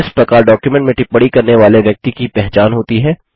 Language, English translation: Hindi, Thus the person making the comment is identified in the document